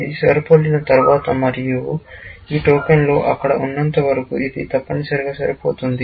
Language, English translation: Telugu, Once it is matching, and as long as these tokens are sitting there, it will continue to match, essentially